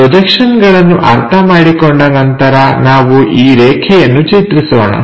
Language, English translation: Kannada, Let us draw this line after understanding these projections